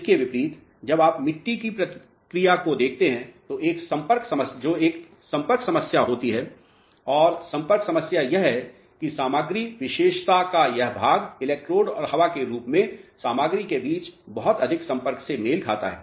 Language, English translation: Hindi, On the contrary when you look at the response of the soil there is a contact problem and the contact problem is this portion of the material characteristic corresponds to too much of contact between the electrode and the material in the form of air